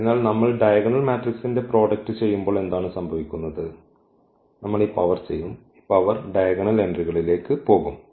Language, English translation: Malayalam, So, what happens when we do the product of the diagonal matrix just simply we will this power; this power will go to the diagonal entries